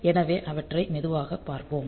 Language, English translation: Tamil, So, we will see them slowly